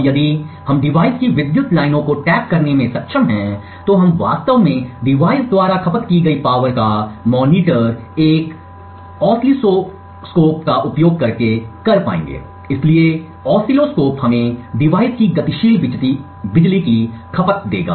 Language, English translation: Hindi, Now if we are able to tap into the power lines of the device, we would be able to actually monitor the power consumed by the device using an oscilloscope, so the oscilloscope will give us the dynamic power consumption of the device